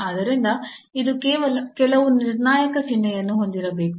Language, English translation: Kannada, So, it has it must have some determined sign